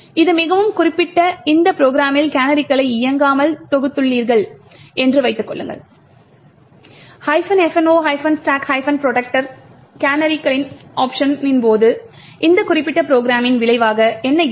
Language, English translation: Tamil, That is in this very specific program suppose you have compiled it without canaries being enabled that is by example using the minus f no canaries option during compilation, what would be the result of this particular program